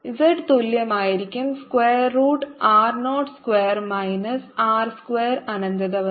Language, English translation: Malayalam, r zero is going to be z is going to be equal to square root of r, zero square minus r square upto infinity